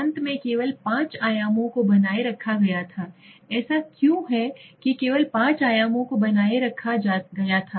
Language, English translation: Hindi, Finally only 5 dimensions were maintained why is that only 5 dimensions were maintained